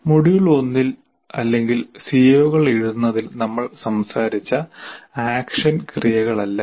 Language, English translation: Malayalam, These are not really the action verbs that we talked about in the module one or in writing C Os